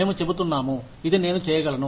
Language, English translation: Telugu, We are saying, this is what, I can do